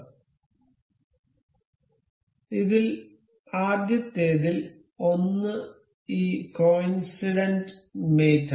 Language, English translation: Malayalam, So, for one of the first of them first of these is this coincident mate